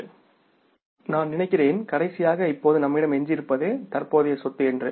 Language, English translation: Tamil, And I think the last current asset now left with us is the cash